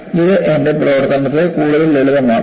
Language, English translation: Malayalam, It makes my life lot more simple